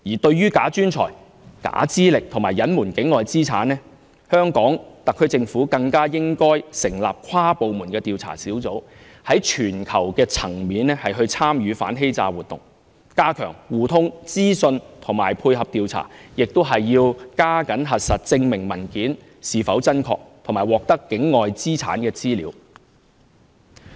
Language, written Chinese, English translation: Cantonese, 至於"假專才"、假資歷及隱瞞境外資產，香港特區政府更應成立跨部門的調查小組，在全球層面參與反欺詐活動，加強資訊互通和配合調查，並要加緊核實證明文件是否真確，以及獲得境外資產的資料。, As to combating bogus talents false academic and concealment of the ownership of assets outside Hong Kong the Hong Kong Government should establish an inter - departmental task force dedicated to investigation . It aims to participate in the global cooperation on immigration fraud prevention to step up the efforts in the communication of information and investigation cooperation by conducting strict verification of supporting documents and collecting information of the assets owned by new arrivals outside Hong Kong